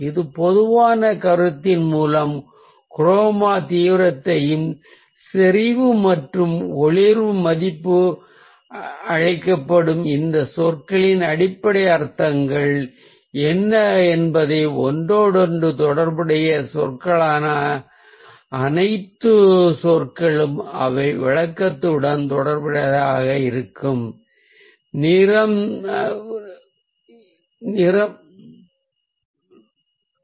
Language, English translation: Tamil, so through this general notion, let's also see what are the basic meanings of ah, all these terms called chroma, intensity, saturation and luminance or value, and all the words that are ah, the interrelated terms that ah will have to do with the description of the colour